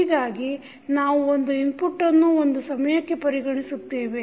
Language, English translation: Kannada, So, we are considering one input at a time